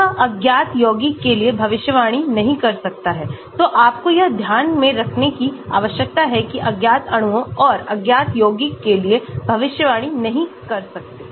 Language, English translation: Hindi, it cannot predict for unknown compound, so you need to keep that in mind, cannot predict for unknown molecules and unknown compounds